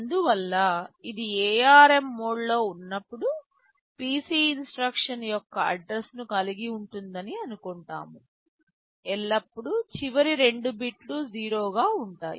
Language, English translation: Telugu, Therefore, when it is in ARM mode, the PC is expected to hold the address of our instruction, always the last 2 bits will be 0